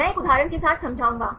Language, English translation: Hindi, I explain with one example